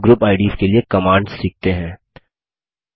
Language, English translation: Hindi, Let us now learn the commands for Group IDs